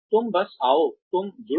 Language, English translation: Hindi, You just come, you join